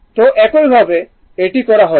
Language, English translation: Bengali, So, this way it has been done